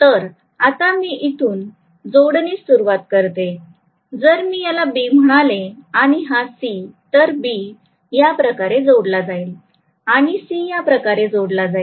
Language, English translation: Marathi, So I will connect basically from if I may call this as B and this as C, so B will be connected like this, C will be connected like this